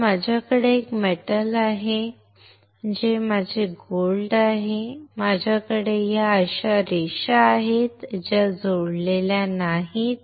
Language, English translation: Marathi, So, I have a metal which is my gold , I have this lines like this which are not connected